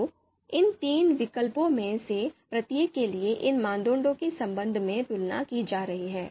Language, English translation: Hindi, So, these three alternatives are going to be compared with respect to each of these criterion